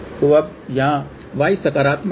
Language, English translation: Hindi, So, same thing here now y is positive